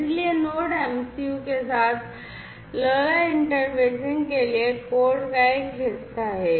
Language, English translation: Hindi, So, for the LoRa interfacing with the Node MCU this is this part of the code